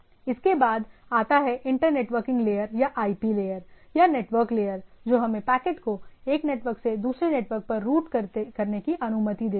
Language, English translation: Hindi, Next come that inter networking layer or IP layer or network layer what we say different type of things, it allows us to route packets from one network to another